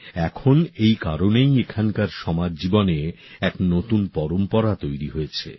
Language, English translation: Bengali, Now that is why, a new tradition has developed in the social life there